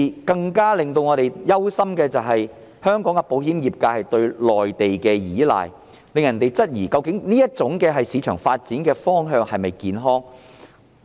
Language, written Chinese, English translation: Cantonese, 更令我們憂心的，是香港的保險業界過度倚賴內地，令人質疑究竟這種市場發展方向是否健康。, What worries us more is that Hong Kongs insurance industry has excessively relied on the Mainland which has raised the doubt of whether this direction of development in the market is healthy